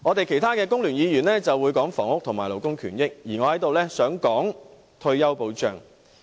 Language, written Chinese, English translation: Cantonese, 其他工聯會議員會談談房屋和勞工權益，而我在此想談談退休保障。, Other FTU Members will discuss housing and labour rights and interests . And I want to discuss retirement protection here